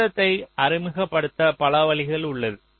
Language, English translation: Tamil, so see, there are so many ways to introduce a delay